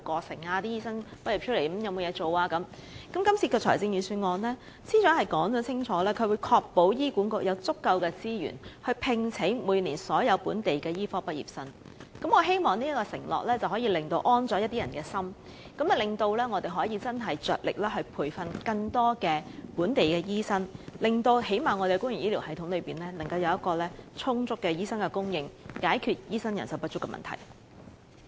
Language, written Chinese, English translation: Cantonese, 司長在今次的預算案中清楚表明會確保醫院管理局有足夠資源聘請每年所有本地醫科畢業生，我希望這個承諾能讓某些人安心，讓香港着力培訓更多本地醫生，最少也可令我們的公營醫療系統有充足的醫生供應，解決醫生人手不足的問題。, The Financial Secretary has stated clearly in the Budget that the Hospital Authority HA would be endowed with ample resources to employ all local medical graduates . With such an undertaking which hopefully can allay the worries of some people I hope Hong Kong can endeavour to train up more local doctors ensuring an adequate supply of doctors for the public health care system at least and resolving the problem of doctor shortage